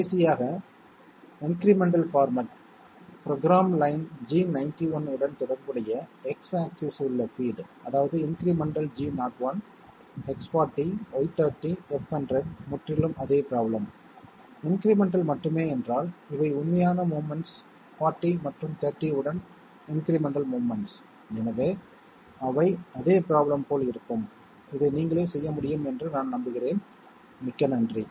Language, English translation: Tamil, Last one, incremental format, the feed along X axis corresponding to program line G91, which means incremental, G01 X40 Y30 F100 is is absolutely the same problem, only incremental means these are the actual movements, incremental movements along 40 and 30, so they will be just like the same problem, I am sure you can do this yourself, thank you very much